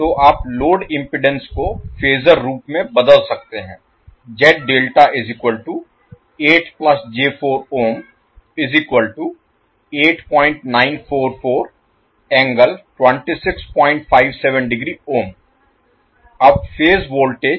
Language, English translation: Hindi, So the load impedance you can convert it into phasor form so it will become 8